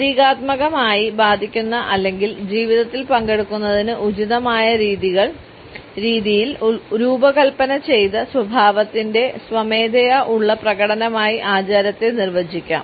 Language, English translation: Malayalam, Ritual can be defined as a voluntary performance of appropriately patterned behaviour to symbolically effect or participate in the serious life